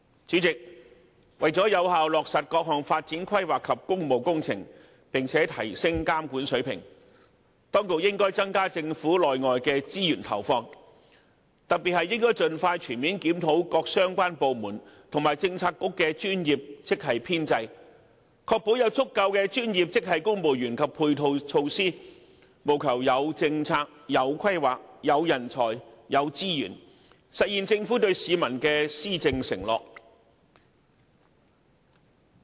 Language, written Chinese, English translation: Cantonese, 主席，為了有效落實各項發展規劃及工務工程，並且提升監管水平，當局應增加政府內外的資源投放，特別應盡快全面檢討各相關部門及政策局的專業職系編制，確保有足夠的專業職系公務員及配套措施，務求有政策、有規劃、有人才、有資源，實現政府對市民的施政承諾。, President with a view to effectively implementing various development plans and public works projects as well as to raising the monitoring standards the authorities should deploy additional resources both inside and outside the Government especially reviewing expeditiously the overall establishment of professional grade staff of relevant bureaux and departments to ensure sufficient number of professional grade civil servants and supporting measures so that the Government have the right policies plans talents and resources to fulfil its promises made to the people regarding its governance